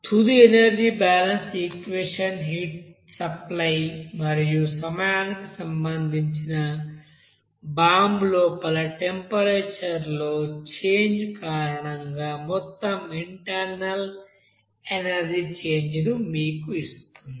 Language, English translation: Telugu, So the final energy balance equation will be giving you like this simple that total internal energy change because of that you know heat supply and changing the temperature inside the bomb with respect to time